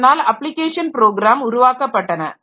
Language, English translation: Tamil, So, application programs or application programs are developed